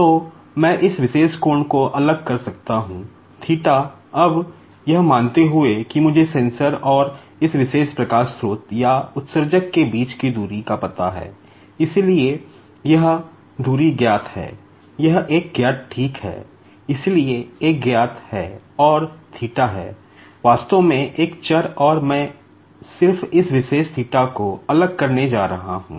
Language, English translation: Hindi, Now, supposing that I know the distance between the sensor and this particular light source or the emitter, so this distance is known, that is a is known ok, so a is known and theta is actually a variable and I am just going to vary this particular theta